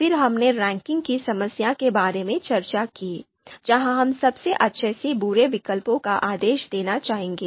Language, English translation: Hindi, We talked about ranking problem where we would like to order the you know alternatives from best to worst